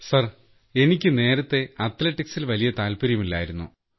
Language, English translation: Malayalam, Sir, earlier there was not much interest towards Athletics